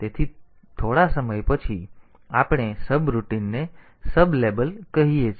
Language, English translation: Gujarati, So, after some time we are calling a subroutine called sublabel